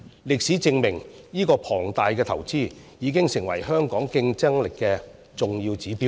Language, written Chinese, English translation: Cantonese, 歷史證明這項龐大的投資，已經成為香港競爭力的重要指標。, History has proved that this enormous investment has become an important indicator of Hong Kongs competitiveness